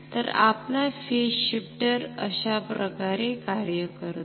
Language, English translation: Marathi, So, this is how our phase shifter works